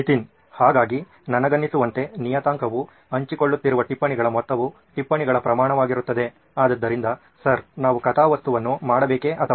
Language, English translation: Kannada, So I guess, the parameter would be the amount of notes that are being shared, the quantity of notes, so sir should we make a plot or